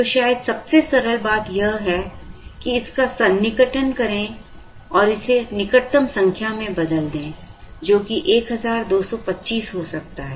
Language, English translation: Hindi, So, the simplest thing to do perhaps is to try and round it off to the nearest number, which could be 1225, let us say